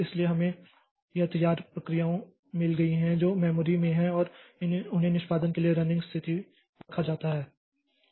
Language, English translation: Hindi, So, we have got this ready processes that are there in the memory and they are to be put onto the running process, running state for execution